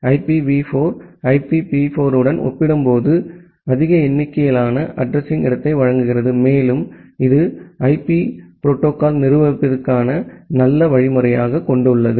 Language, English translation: Tamil, IPv6 provides more number of address space compared to IPv4 and it has nice mechanism of managing the IP protocol